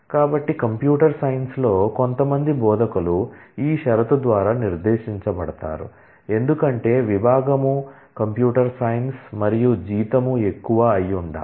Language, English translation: Telugu, So, the some instructor in computer science is specified by this condition, because department has to be computer science and the fact that salary is higher